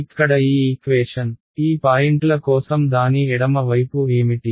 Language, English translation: Telugu, This equation over here, what is the left hand side of it for these points